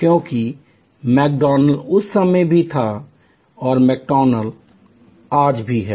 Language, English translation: Hindi, Because, McDonald's was at that time remains today